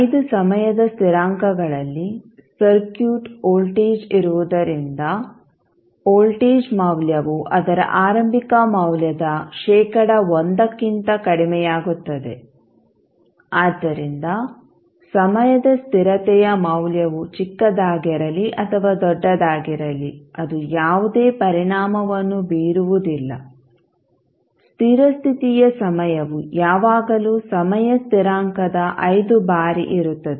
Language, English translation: Kannada, Because in 5 time constants the circuit voltage is there, then voltage value will decrease to less than 1 percent of its initial value so, the value of time constant is small or large will not impact, the steady state time, it will always be 5 times of the time constant